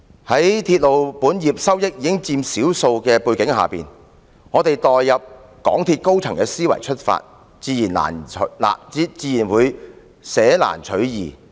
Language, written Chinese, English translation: Cantonese, 在鐵路本業收益僅佔少數的背景下，假如我們代入港鐵公司高層的思維，自然會捨難取易。, Given that the revenue from railway business accounts for only a small proportion one would naturally look for an easy way out if we put ourselves in the shoes of the MTRCL senior management